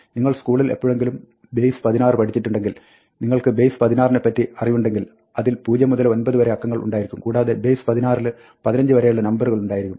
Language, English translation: Malayalam, If you have base 16, if you have studied base 16 ever in school, you would know that, you have the digit zero to 9, but base 16 has numbers up to 15